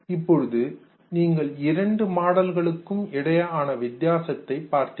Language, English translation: Tamil, Now you have seen the difference between the two models